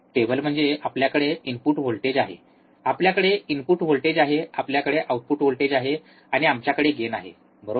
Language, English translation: Marathi, Table is we have a input voltage, we have a input voltage, we have the output voltage, and we have a gain, correct